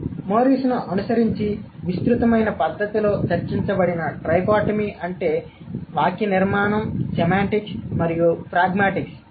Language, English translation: Telugu, So, following Morris, the trichotomy that has been discussed in an extensive manner is the understanding of syntax, semantics and pragmatics